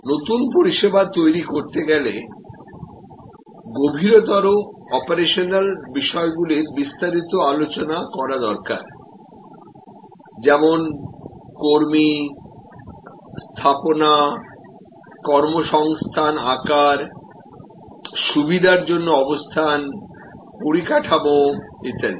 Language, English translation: Bengali, New service creation of course, as a whole lot of deeper operational issues like personnel, deployment, sizing of employment, the facility location, infrastructure for facilities